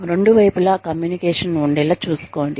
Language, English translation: Telugu, Ensure a two way communication